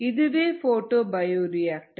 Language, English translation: Tamil, so this is a photobioreactor